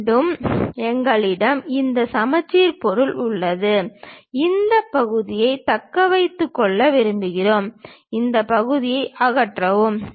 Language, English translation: Tamil, Again we have this symmetric object here and we would like to retain this part, remove this part